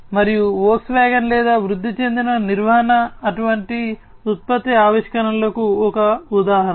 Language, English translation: Telugu, And Volkswagen or augmented maintenance is an example of such kind of product innovation